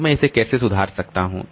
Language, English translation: Hindi, So, how can I improve this